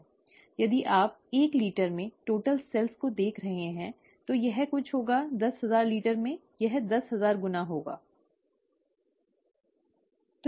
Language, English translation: Hindi, If you are looking at total cells in the one litre, it will be something; in the ten thousand litre, it will be ten thousand times that, okay